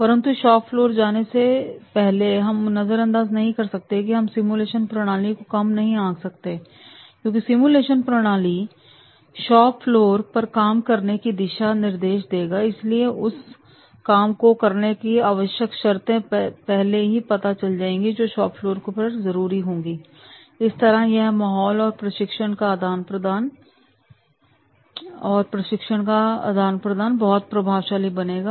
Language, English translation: Hindi, But before going to the shop floor, we cannot ignore, we cannot underestimate the method of simulation because simulation will give him the guidelines to perform at the shop floor and therefore the prerequisites, he will be gaining all the prerequisites which are required to be used at the shore floor and this environment and transfer of training then that will be becoming very very effective